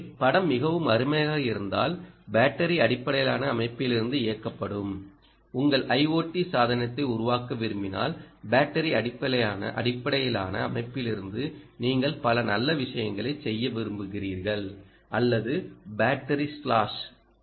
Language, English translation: Tamil, so if the picture is very nice, that if you want to build your i o t device ah which is driven from a battery based system ok, from a battery based system you want to do several nice things or from battery slash, so i will ah say battery slash, because harvesters are also important